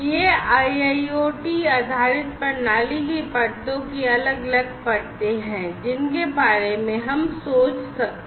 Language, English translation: Hindi, So, these are the different layers of layers of an IIoT based system, that we can think of